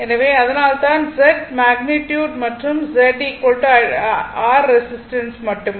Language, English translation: Tamil, So, that is why Z is equal to this Z is the magnitude and Z is equal to basically R only resistance